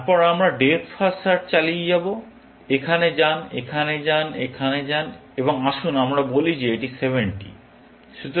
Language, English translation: Bengali, Then, we continue the depth first fashion; go here, go here, go here, and let us say that this is 70